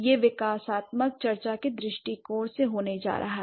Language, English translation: Hindi, So, now it's going to be from the developmental discussion perspective